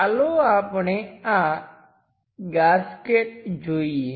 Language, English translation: Gujarati, Let us look at this gasket